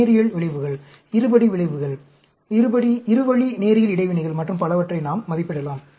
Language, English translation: Tamil, We can estimate linear effects, quadratic effects, two way linear interactions and so on